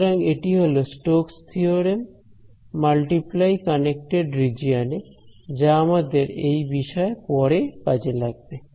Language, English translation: Bengali, So, this is Stoke’s theorem in a multiply connected region which we will use in the course and so